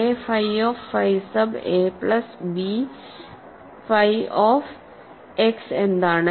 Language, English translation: Malayalam, What is a phi of phi sub a plus b of x